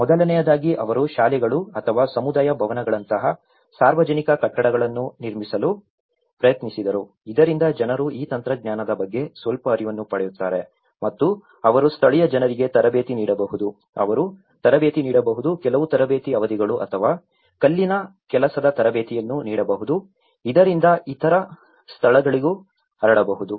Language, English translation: Kannada, First, they did was, they tried to construct the public buildings like schools or the community buildings so that people get some awareness of this technology and they could also train the local people, they could also train, give some training sessions or the masonry training sessions to the local people so that it can be spread out to the other places as well